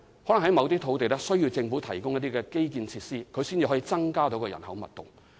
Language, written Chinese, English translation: Cantonese, 第一，某些土地可能需要政府提供一些基建設施，才可以增加人口密度。, First on some pieces of land the Government may need to provide certain infrastructural facilities before increasing their population density